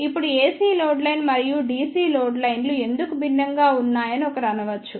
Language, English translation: Telugu, Now, one may say that why the AC load line and DC load lines are different